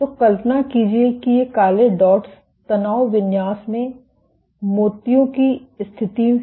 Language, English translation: Hindi, So, imagine these black dots are the positions of the beads in the stress configuration